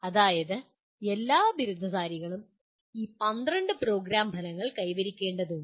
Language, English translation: Malayalam, That means all graduates will have to attain these 12 Program Outcomes